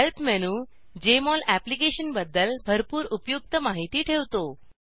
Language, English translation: Marathi, Help menu has a lot of useful information about Jmol Application